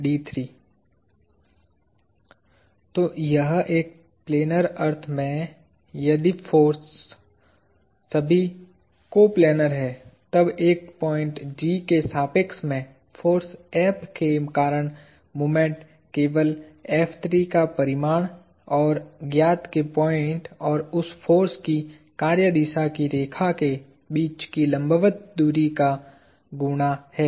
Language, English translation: Hindi, So, this is, in a planar sense, if the forces are all coplanar; then, the moment due to a force F about a point G is simply the product of F 3 – the magnitude and the perpendicular – the distance between the point of interest and the line of action of that force